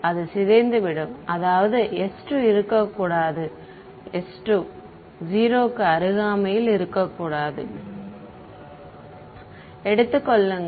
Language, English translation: Tamil, Such that it decays; that means, s 2 should be no s 2 should not be close to 0